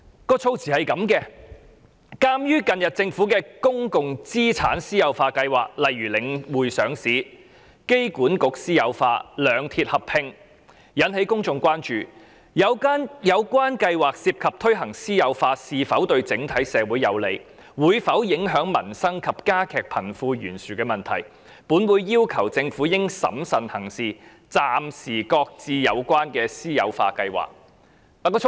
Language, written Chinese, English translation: Cantonese, 當時的議案內容如下："鑒於近日政府的公共資產私有化計劃，例如領匯上市、香港機場管理局私有化及兩鐵合併等，均引起公眾關注，而有關計劃涉及推行私有化是否對整體社會有利、會否影響民生及加劇貧富懸殊等問題，本會要求政府應審慎行事，暫時擱置有關的私有化計劃"。, The content of the motion of that time reads That as the Governments recent public asset privatization plans such as the listing of The Link Real Estate Investment Trust the privatization of the Airport Authority Hong Kong and the proposed merger of the two railway corporations have aroused public concerns and such plans involve issues of whether the implementation of privatization is beneficial to the community as a whole and whether it will affect peoples livelihood and widen the disparity between the rich and the poor etc this Council demands that the Government should act prudently and suspend the privatization plans concerned